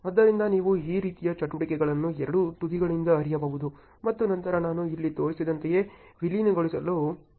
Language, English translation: Kannada, So, you can flow the activities like this from both the ends and then it starts merging up just like I have shown here